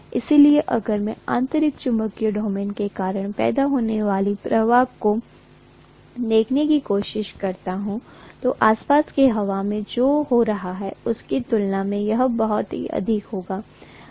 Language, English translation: Hindi, So if I try to look at the flux that is created it due to the intrinsic magnetic domain, that will be much higher as compared to what is happening in the surrounding air